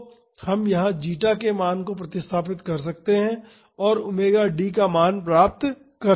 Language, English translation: Hindi, So, we can substitute the value of zeta here and get the value of omega D